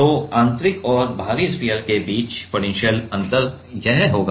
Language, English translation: Hindi, So, the potential difference between the inner and outer sphere will be this